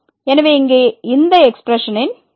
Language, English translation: Tamil, So, what is this expression here